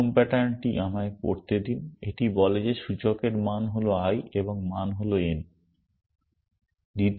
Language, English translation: Bengali, The first pattern let me read it out it says that index value is i and the value is n